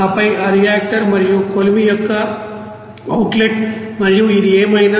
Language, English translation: Telugu, And then outlet of those reactor and the furnace and whatever it is) there